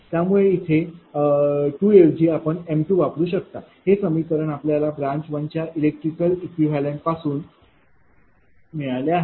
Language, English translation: Marathi, So, instead of 2 we will m 2 because, this is the this equation has come because, of the electrically equivalent of branch one of the distribution network